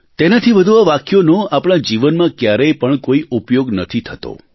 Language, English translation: Gujarati, Beyond that, these sentences serve no purpose in our lives